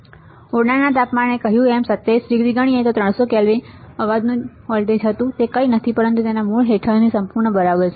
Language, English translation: Gujarati, And we said room temperature we considered as 27 degree, so 300 Kelvin that was a noise voltage is nothing but under root of it is under root under root whole ok